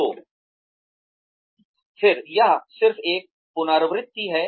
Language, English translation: Hindi, So, Again, this is just a repetition